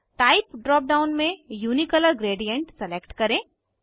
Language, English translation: Hindi, In the Type drop down, select Unicolor gradient